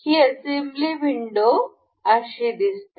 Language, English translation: Marathi, This assembly thing, the window looks like this